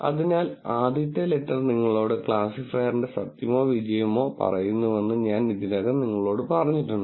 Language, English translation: Malayalam, So, I already told you that the first letter tells you the truth or the success of the classifier